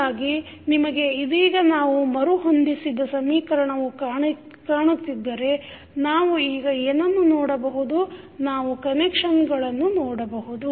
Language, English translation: Kannada, So, if you see the equation which we have just rearranged so what we can now see we can see the connections